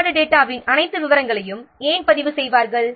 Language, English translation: Tamil, Why will record all the details of the defect data